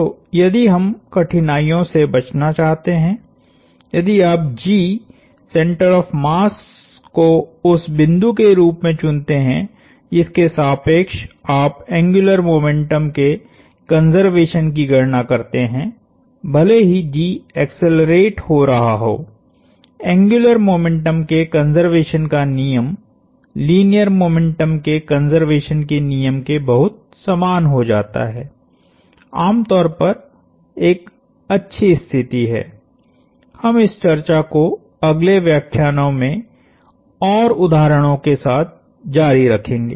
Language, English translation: Hindi, So, if we want to avoid these pit falls, if you choose G, the center of mass as the point about which you compute the conservation of angular momentum, even if G is accelerating, the law of conservation of angular momentum becomes very analogous to the law of conservation of linear momentum which is usually a nice place to be, we will continue this discussion with more examples in the next lectures